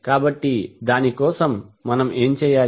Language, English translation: Telugu, So for that, what we need to do